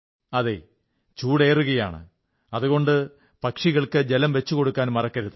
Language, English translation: Malayalam, Summer is on the rise, so do not forget to facilitate water for the birds